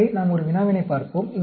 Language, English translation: Tamil, So, let us look at one problem